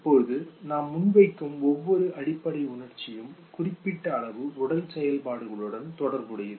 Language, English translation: Tamil, Now each basic emotion that we come forward with okay is associated with certain degree of bodily activities